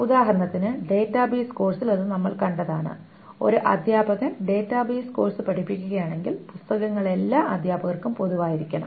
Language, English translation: Malayalam, For example in the database course example that we saw, if a teacher teaches the course on database, the books must be common to all the teachers